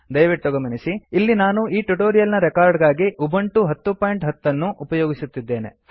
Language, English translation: Kannada, Please note that Ubuntu 10.10 was used for recording this tutorial